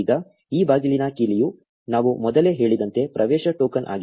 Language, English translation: Kannada, Now the key to this door is the access token like we just said before